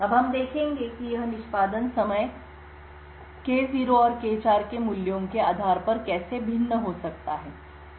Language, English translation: Hindi, Now we will see how this execution time can vary depending on the values of K0 and K4